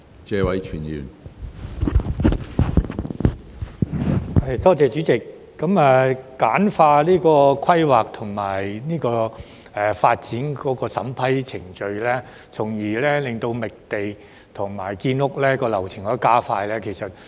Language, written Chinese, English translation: Cantonese, 主席，簡化規劃及發展的審批程序從而加快覓地和建屋流程，是很多人所想。, President many people indeed wish to see the streamlining of the vetting and approval process for planning and development thereby speeding up the workflow of land identification and housing construction